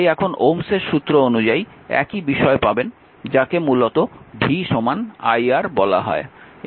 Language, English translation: Bengali, So now, for ohms' law, you will get same thing that v your what you call